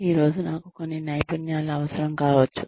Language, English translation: Telugu, I may need one set of skills today